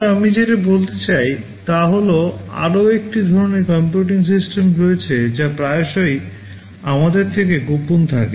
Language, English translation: Bengali, But what I want to say is that, there is another kind of computing system that is often hidden from us